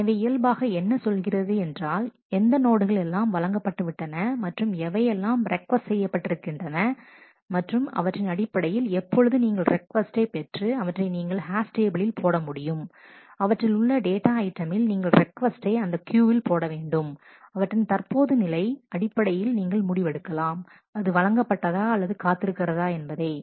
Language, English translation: Tamil, So, it takes it naturally says what type of lock is granted and requested and based on this therefore, when you get a request to put it in the you come and put it you hash it to that data item, put that request on that queue and based on the current status you can decide, whether it can be granted or it has to wait